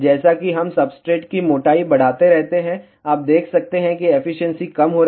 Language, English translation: Hindi, As, we keep on increasing the substrate thickness you can see that the efficiency is decreasing